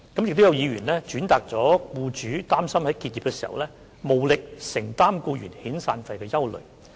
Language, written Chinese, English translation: Cantonese, 此外，亦有議員轉達了僱主擔心在結業時無力承擔僱員遣散費的憂慮。, In addition some Members also relayed employers concerns that they might not afford to pay severance payments to employees upon business closure